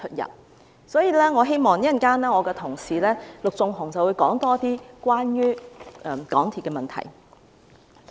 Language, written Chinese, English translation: Cantonese, 因此，稍後我的同事陸頌雄議員會更深入談論關於港鐵公司的問題。, Therefore my colleague Mr LUK Chung - hung will elaborate in greater detail the problems concerning MTRCL later on